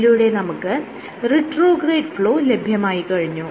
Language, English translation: Malayalam, So, you have measured retrograde flow